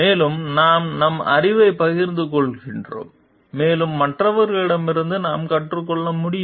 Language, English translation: Tamil, And also we share our knowledge and also we have we can learn from others